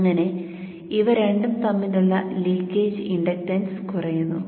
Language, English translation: Malayalam, So there will be some leakage inductance here